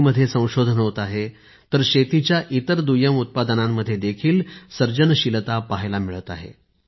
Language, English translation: Marathi, Innovation is happening in agriculture, so creativity is also being witnessed in the byproducts of agriculture